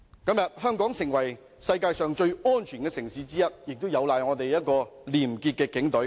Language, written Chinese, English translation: Cantonese, 今天香港成為世界上最安全的城市之一，亦有賴我們廉潔的警隊。, Also thanks to our clean and honest Police Force Hong Kong has become one of the safest cities in the world